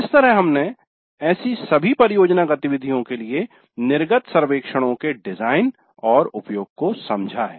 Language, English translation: Hindi, So we understood the design and use of exit surveys for all such project activities